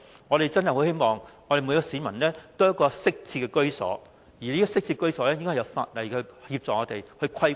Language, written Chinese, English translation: Cantonese, 我們真的很希望每一個市民都有一個適切的居所，而這些適切居所應由法例作出規管。, We truly hope that every person in this city has a decent dwelling and the standard of these dwellings should be regulated by law